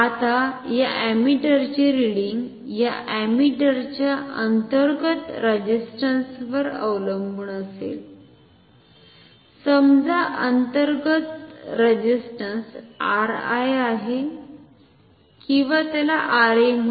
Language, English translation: Marathi, Now, the reading of this ammeter will be will depend on the internal resistance of this ammeter; say the internal resistance R i is the or call it R A is the internal resistance ok